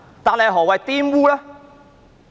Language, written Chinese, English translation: Cantonese, 但是，何謂"玷污"呢？, However what is meant by defiling?